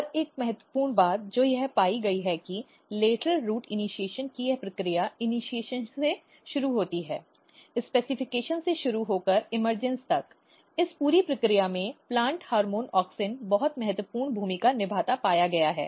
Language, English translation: Hindi, And one important thing which has been found that this process of lateral root initiation starting from the initiation, starting from the specification till the emergence plant hormone auxin has been found to play a very very important role in this entire process